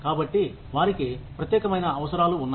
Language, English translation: Telugu, So, they have unique needs